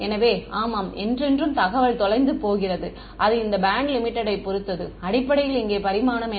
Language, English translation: Tamil, So, even though I mean yeah that information is lost forever and this band limit depends on basically what is the dimension over here